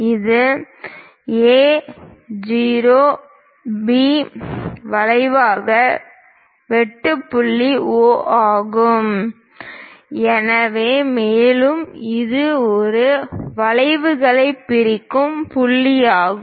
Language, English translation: Tamil, And the point through which it cuts A, O, B arc is O, and this is the point which bisect both the arcs